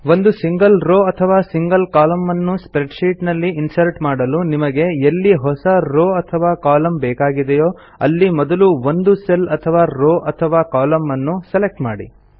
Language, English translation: Kannada, In order to insert a single row or a single column in the spreadsheet, first select the cell, column or row where you want the new column or a new row to be inserted